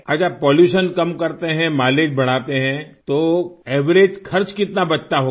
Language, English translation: Hindi, Ok, so if we reduce pollution and increase mileage, how much is the average money that can be saved